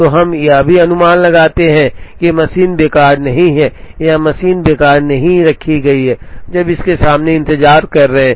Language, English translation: Hindi, So, we also make an assumption that the machine is not idle or the machine is not kept idle, when there are jobs waiting in front of it